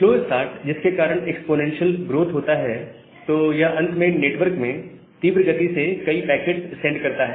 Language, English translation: Hindi, So the slow start it causes the exponential growth, so eventually it will send too many of packets into the network too quickly